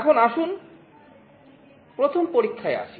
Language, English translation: Bengali, Now, let us come to the first experiment